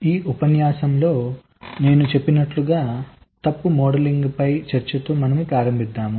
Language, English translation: Telugu, so in this lecture we start with a discussion on fault modelling, as i said